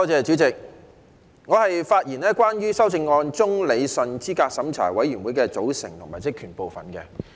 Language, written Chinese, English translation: Cantonese, 主席，我的發言是關於修正案中有關理順候選人資格審查委員會的組成及職權的部分。, Chairman I will speak on the part concerning rationalizing the composition and duties of the Candidate Eligibility Review Committee CERC in the amendments